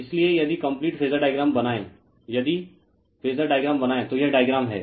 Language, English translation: Hindi, So, if you if you draw the complete phasor diagram , right, if you draw the complete phasor diagram so, this is the diagram